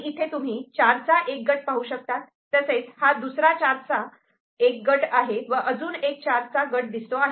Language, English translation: Marathi, So, the one that we can see, which is a group of four we can see over here, it is a group of four this there is a group of four